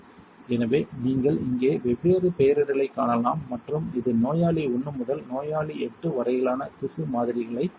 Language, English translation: Tamil, So, you can see here different nomenclature and this has tissue samples from patients patient 1 to patient 8